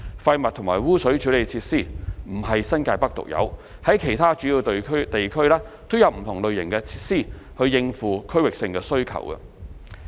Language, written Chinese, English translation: Cantonese, 廢物和污水處理設施不是新界北獨有，在其他主要地區均有不同類型設施以應付區域性需求。, Waste and sewage treatment facilities are not unique to NTN as there are various kinds of facilities in other major areas to meet the demands of the districts